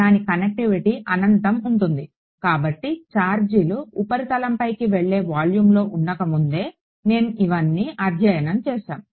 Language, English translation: Telugu, That connectivity is infinite therefore, we have studied all of this before it charges don’t reside in the volume they all go to the surface